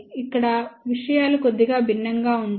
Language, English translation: Telugu, Over here things are slightly different